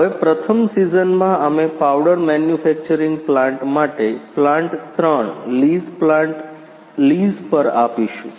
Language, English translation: Gujarati, Now in first season we will lease plant 3 lease plant for powder manufacturing plant